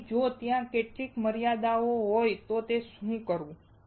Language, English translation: Gujarati, So, what to do if there are some limitations